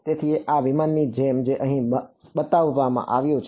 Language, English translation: Gujarati, So, like this aircraft that has been shown over here